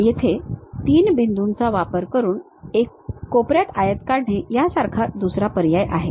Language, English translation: Marathi, Here there is another option like 3 Point Corner Rectangle